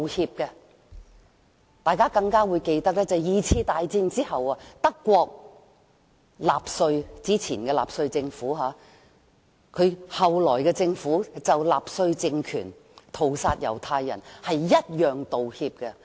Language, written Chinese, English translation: Cantonese, 相信大家也會記得在第二次世界大戰後，德國政府同樣就納粹政權屠殺猶太人作出道歉。, And I believe people can still remember that after the Second World War the German Government also apologized for the Nazi regimes massacre of Jews